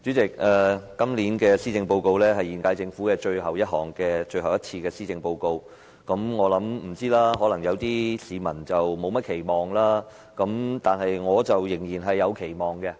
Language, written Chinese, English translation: Cantonese, 主席，今年的施政報告是現屆政府最後一份施政報告，我相信部分市民對此並沒甚麼期望，但我卻仍然是有期望的。, President this Policy Address is the last Policy Address of the incumbent Government . I believe some people do not expect much from the Policy Address but I still have some expectation about it